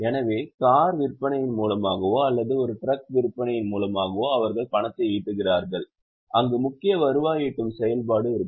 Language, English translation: Tamil, So, money which they generate in cash by sale of car or by sale of a truck will be their principal revenue generating activity